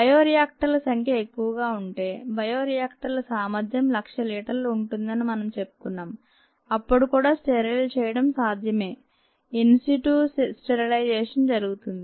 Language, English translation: Telugu, if the bioreactors are large we talked of ah bioreactors that have capacities of may be lakh, few lakh liters then in situ sterilization is done